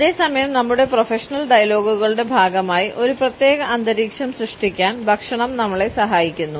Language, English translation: Malayalam, At the same time food helps us to create a particular ambiance as a part of our professional dialogues